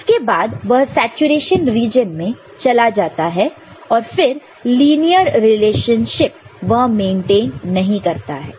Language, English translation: Hindi, After that it goes into saturation region it is no longer that linear relationship, that will be maintaining